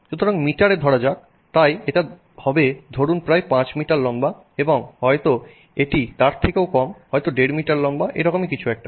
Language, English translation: Bengali, So, let's say in meters so that would be say about 5 meters tall and maybe this is less than that